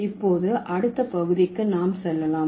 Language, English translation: Tamil, Okay, so now let's move to the next segment